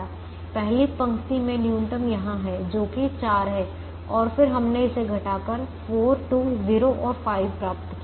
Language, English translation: Hindi, the minimum happened to be here, which is four, and then we subtracted this to get four, two, zero and five